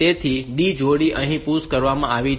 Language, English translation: Gujarati, So, the D pair has been pushed here